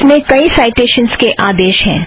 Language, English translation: Hindi, It has several citations command